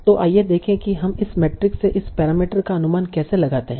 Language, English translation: Hindi, So let us see how do we estimate this parameter from this matrix